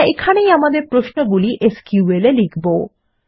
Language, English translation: Bengali, and this is where we will type in our queries in SQL